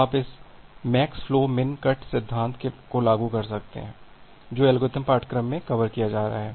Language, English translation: Hindi, So, you can apply this max flow min cut theorem which is being covered in the algorithmic course